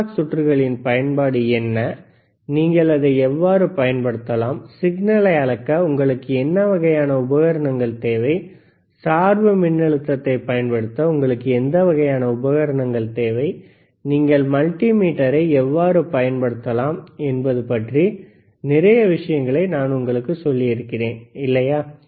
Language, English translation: Tamil, I can tell you a lot of things about analog circuits, what is the use, how you can apply it, what kind of equipment you require for measuring the signal, what kind of equipment you require to apply the bias voltage, how can you can use multimeter, right